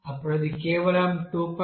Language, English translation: Telugu, Then it will be simply 2